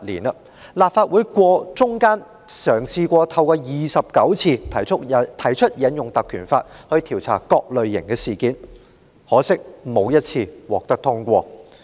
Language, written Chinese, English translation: Cantonese, 立法會期間曾29次嘗試引用《條例》調查各類事件，可惜相關議案沒有一次獲得通過。, During the interim 29 attempts to trigger inquiries into various incidents under PP Ordinance were made in the Council . Unfortunately not one of the relevant motions were passed